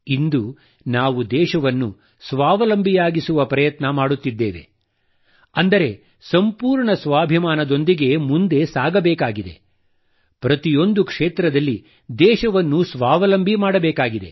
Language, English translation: Kannada, Today, when we are trying to make the country selfreliant, we have to move with full confidence; and make the country selfreliant in every area